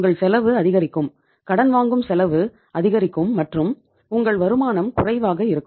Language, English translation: Tamil, Your cost will increase, borrowing cost will increase and your your borrowing cost will go up and your returns will be less